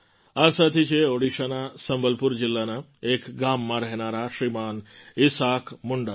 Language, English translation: Gujarati, This friend Shriman Isaak Munda ji hails from a village in Sambalpur district of Odisha